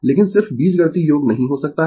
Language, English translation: Hindi, But just cannot be algebraic sum, right